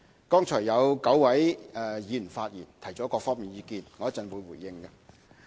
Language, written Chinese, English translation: Cantonese, 剛才有9位議員發言提出了各方面的意見，我稍後會回應。, Nine Members spoke on the Bill just now . I will respond to their various views later